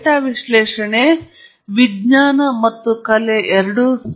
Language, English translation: Kannada, Data analysis is, therefore, both a science and an art